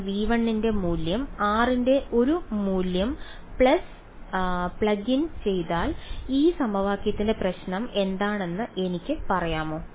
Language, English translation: Malayalam, So, if I plug in a value of r belonging to v 1, can I what is the problem with this equation